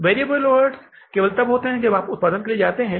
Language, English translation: Hindi, Variable overheads only take place when we go for the production